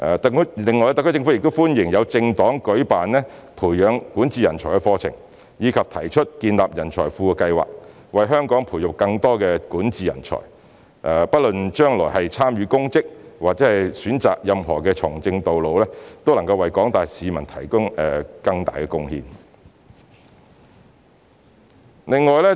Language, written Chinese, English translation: Cantonese, 特區政府亦歡迎政黨舉辦培養管治人才的課程，以及提出建立人才庫的計劃，為香港培育更多管治人才，不論將來是參與公職或是選擇任何從政道路，都能為廣大市民作出更大的貢獻。, The SAR Government also welcomes the organization of courses on nurturing talents in governance by political parties and their plans to set up talent pools to nurture more talents in governance for Hong Kong . No matter they serve in public service or choose any political path they will make greater contributions to the general public